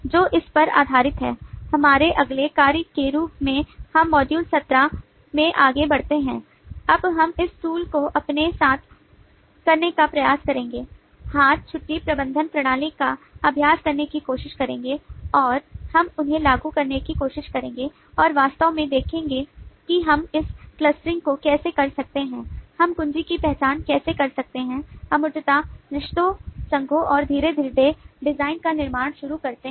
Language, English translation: Hindi, so, based on this, our next task as we go into the module 17 onwards we would now try to, with this tools at our hand will take up the leave management system exercise and we will try to apply them and see actually on the ground how we can do this clustering, how we can identify the key abstraction relationships, associations and slowly start building up the design